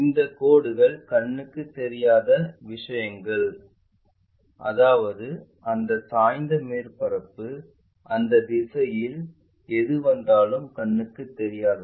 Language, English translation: Tamil, These lines are invisible things ; that means, that entire inclined surface whatever it is coming in that direction